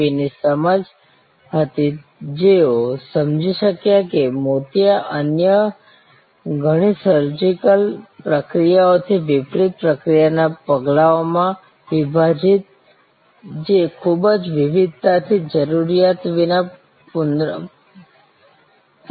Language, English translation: Gujarati, V who could understand that cataract, unlike many other surgical procedure could be broken up into process steps, which could be performed repetitively without the need of very lot of variation